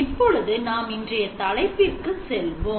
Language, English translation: Tamil, Let us move on to the topics of today